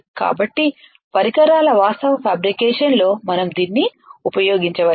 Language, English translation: Telugu, So, that we can use it in the actual fabrication of the devices alright